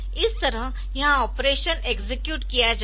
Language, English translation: Hindi, So, here the operation will be executed